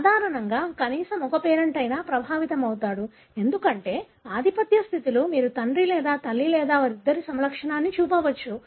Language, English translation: Telugu, Usually at least one parent is affected because in the dominant condition you would expect either father or mother or both of them could show the phenotype